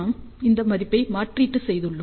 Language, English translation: Tamil, So, we substitute that value